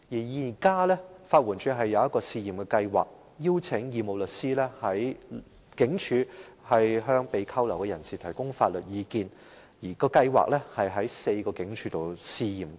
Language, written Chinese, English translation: Cantonese, 法援署現時推出了一項試驗計劃，邀請義務律師在警署向被拘留人士提供法律意見，試驗計劃正於4間警署推行。, At present a pilot scheme is implemented by LAD in four police stations to invite voluntary lawyers to provide legal advice to persons detained in police stations